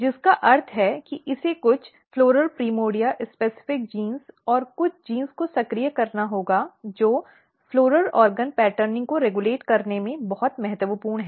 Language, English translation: Hindi, And how it will become floral primordia which means that it has to activate some floral primordia specific genes and some of the genes which are very important in regulating the floral organ patterning